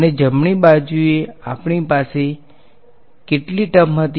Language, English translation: Gujarati, And on the right hand side we had how many terms